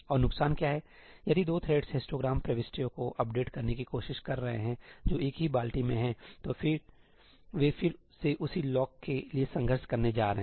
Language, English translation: Hindi, And what is the disadvantage ñ if two threads are trying to update histogram entries which are in the same bucket, then they are going to again contend for the same lock